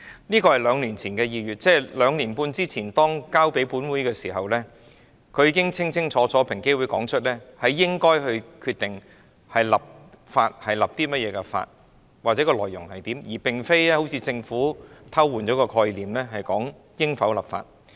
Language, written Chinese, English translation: Cantonese, 這是兩年前的2月，即兩年半前，當建議交予本會時，平機會已經清清楚楚指出應該決定訂立甚麼法例及法例的內容，而並非如政府般偷換概念，討論應否立法。, That was February two years ago ie . two and a half years ago . In the recommendations submitted to this Council EOC already clearly pointed out that we should decide the scope and content of the legislation rather than as the Government suggested by distorting the concept discuss whether there should be legislation